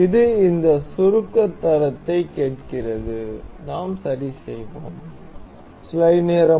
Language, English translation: Tamil, This asks for this compression quality, we will ok